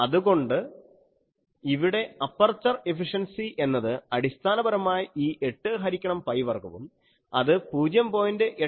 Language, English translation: Malayalam, So, here you can say that aperture efficiency will be basically this 8 by pi square and that is 0